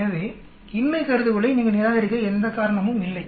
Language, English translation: Tamil, So there is no reason for you to reject the null hypothesis